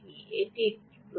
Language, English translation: Bengali, that is a question, right